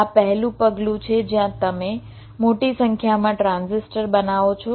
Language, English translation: Gujarati, so the first step: you create a large number of transistors which are not connected